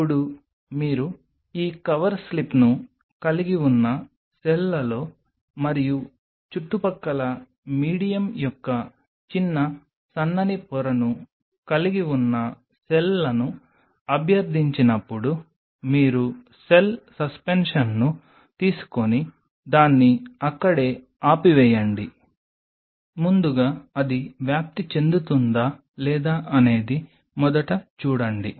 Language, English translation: Telugu, Now, once you plead the cells you have small thin layer of medium in and around the cells you have this cover slip you take the cell suspension just stop it there with it first of all look at it whether it spreads or not first catch